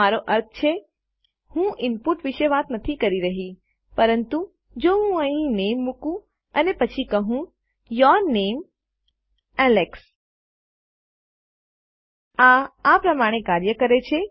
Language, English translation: Gujarati, I mean Im not talking about input but if I put the name here and then I say your name, Alex This is how it works